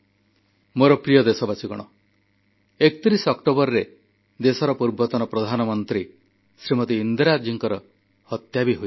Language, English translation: Odia, My dear countrymen, on 31st October, on the same day… the former Prime Minister of our country Smt Indira ji was assasinated